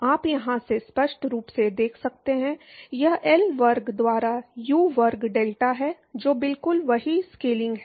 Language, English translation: Hindi, You can clearly see from here, this is U square delta by L square exactly that is the same scaling